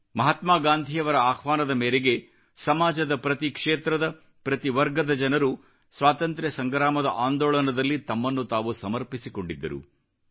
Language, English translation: Kannada, During the Freedom Struggle people from all sections and all regions dedicated themselves at Mahatma Gandhi's call